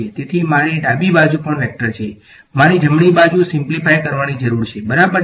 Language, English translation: Gujarati, So, I have a vector on the left hand side also, I need to simplify the right hand side right